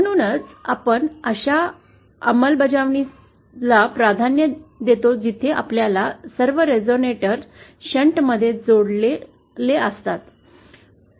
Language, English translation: Marathi, Hence we prefer implementations where all our resonators are in shunt